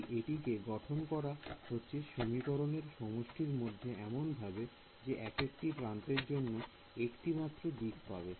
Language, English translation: Bengali, So, it's built into the system of equations that you will get only one direction for each edge